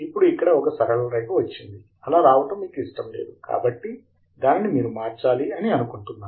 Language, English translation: Telugu, Now, there is also a line that comes here which you may not like, so we could change that also as follows